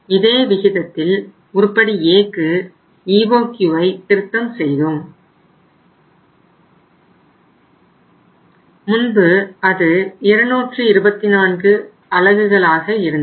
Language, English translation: Tamil, In this same ratio we revised the EOQ for the item number A and earlier it was 224 units